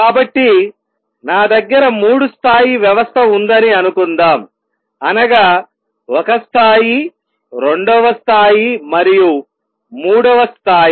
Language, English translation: Telugu, So, suppose I have a three level system one level, second level and third level